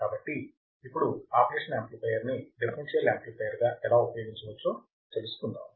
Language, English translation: Telugu, So, let us see how the operational amplifier can be used as a differential amplifier